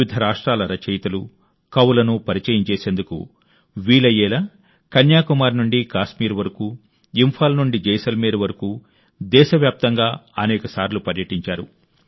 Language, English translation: Telugu, She travelled across the country several times, from Kanyakumari to Kashmir and from Imphal to Jaisalmer, so that she could interview writers and poets from different states